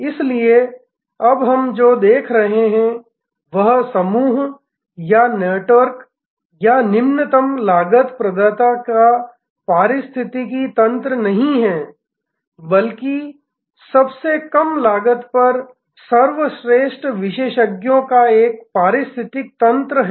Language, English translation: Hindi, So, what we are now seeing is therefore, not a constellation or network or ecosystem of the lowest cost provider, but an ecosystem of the best experts at the lowest cost